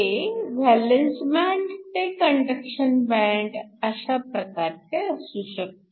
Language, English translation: Marathi, This is conductor valence band to conduction band